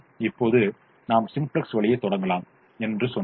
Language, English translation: Tamil, now we also said we could have started the simplex way